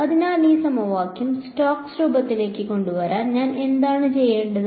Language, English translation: Malayalam, So, what do I need to do to this equation to get it into Stokes form